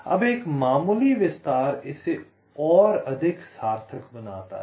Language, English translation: Hindi, right now, a slight extension makes it more meaningful